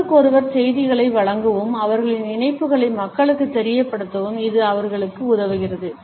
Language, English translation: Tamil, It helps them to give messages to each other and letting people know their affiliations